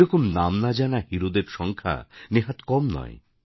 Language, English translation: Bengali, And there are numerous such unnamed, unsung heroes